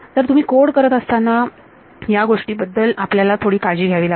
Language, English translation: Marathi, So, these are the things which you have to be very careful about when you code